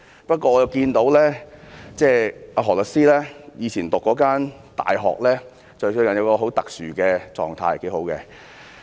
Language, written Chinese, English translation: Cantonese, 不過，我看到何律師以前就讀的大學最近有一個很特殊的狀態，是不錯的。, However I have noticed that the university he attended has recently achieved a very special status which is pretty good